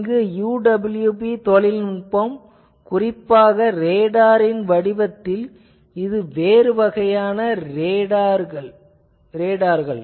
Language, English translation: Tamil, So, UWB technology particularly in the form of radars which are a different kind of radars than the conventional radars